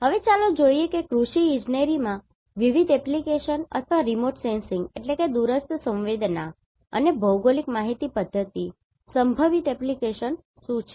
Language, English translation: Gujarati, Now let us see what are the different application or the potential application of remote sensing and GIS in Agriculture Engineering